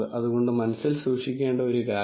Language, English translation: Malayalam, So, that is one thing to keep in mind